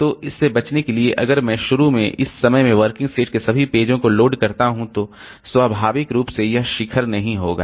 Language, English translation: Hindi, So to avoid this, so if I initially load all the pages of the working set at this time itself, then naturally this peak will not occur